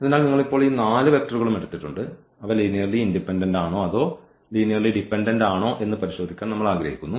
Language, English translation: Malayalam, So, you have taken these 4 vectors now and we want to check whether they are linearly independent or they are linearly dependent the same process we will continue now